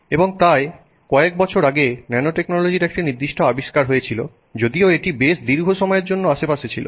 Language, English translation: Bengali, And so there was a certain discovery of nanotechnology some years back even though it had been around for a pretty long period of time